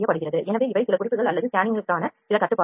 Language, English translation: Tamil, So, these are certain tips or certain restrictions to the scanning